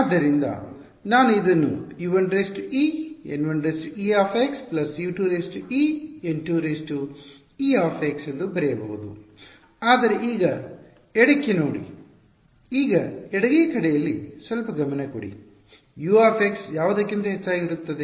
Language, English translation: Kannada, So, I can write this as U 1 e times N 1 e x plus U 2 e N 2 e x right, but this see now left now pay a little bit of attention in the left hand side is U of x over what